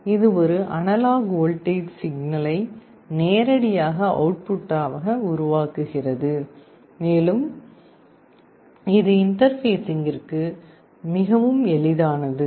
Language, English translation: Tamil, It can directly generate an analog voltage signal as output, and it is very easy to interface